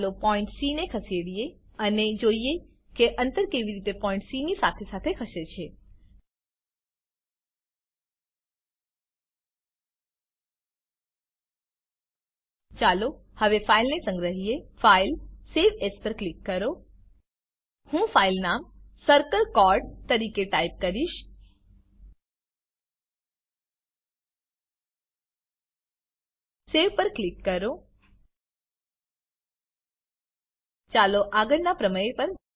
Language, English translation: Gujarati, Lets Move the point C and see how the distances move along with point C Let us save the file now Click on File Save As I will type the file name as circle chord circle chord Click on Save Let us move on to the next theorem